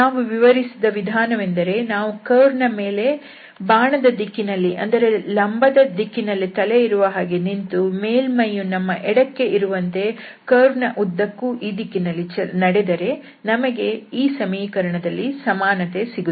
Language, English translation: Kannada, The idea we have discussed that, if we stand here on the curve along this arrow along this normal having this head on this top there and if we walk through along this direction of the curve, the surface should lie left to us and then we will have this equality there